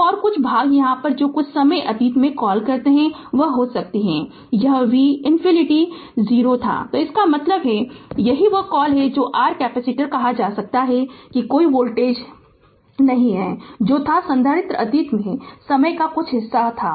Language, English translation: Hindi, So, and the some part some here what you call sometime in the past that may be this v minus infinity was is equal to 0 right, so that that means, that you are what you call that your capacitor at that you can say that there are there is no voltage that was the capacitor be some part some part of the time in the past right